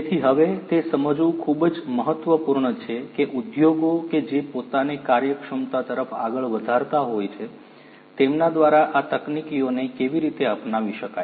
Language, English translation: Gujarati, So, it is now very important to understand how these technologies can be adopted by the industries that are advancing themselves towards efficiency